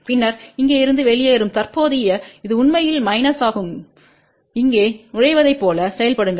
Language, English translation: Tamil, And then the current which is leaving here which was actually minus which will act as a entering here